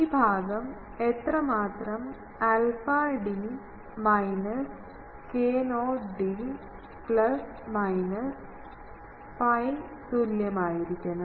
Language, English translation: Malayalam, We require that this part should be how much alpha d minus k not d should be equal to plus minus pi